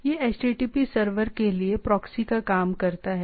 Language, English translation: Hindi, So, what it does it proxies for the HTTP server right